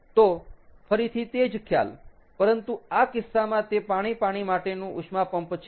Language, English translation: Gujarati, so, again, similar concept, but in this case it is a water water heat pump